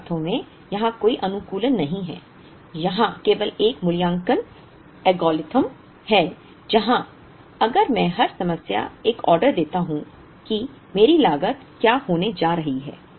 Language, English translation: Hindi, In some sense there is no optimization here, there it is only an evaluative algorithm where, if I make an order every period what is going to be my cost